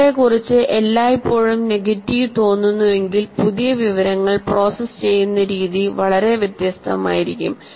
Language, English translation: Malayalam, If you feel all the time negative about yourself, the way you will process new information will be very different